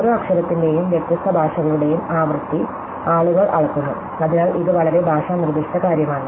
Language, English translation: Malayalam, So, people have measure the frequency of the occurrence of each letter and different languages, so this is a very language specific thing